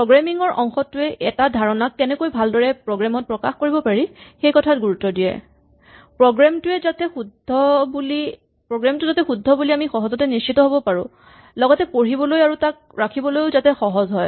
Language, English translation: Assamese, So the programming part talks about what is the best way to express a given idea in a program in a way that it is easy to make sure that it is correct and easy to read and maintain, so that is the programming part